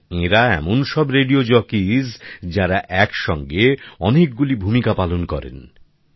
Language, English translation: Bengali, And the radio jockeys are such that they wear multiple hats simultaneously